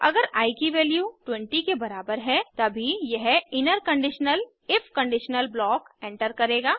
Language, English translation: Hindi, Once the value becomes 20, the program enters the conditional if block